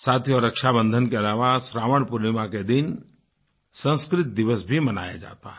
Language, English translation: Hindi, Friends, apart from Rakshabandhan, ShravanPoornima is also celebrated as Sanskrit Day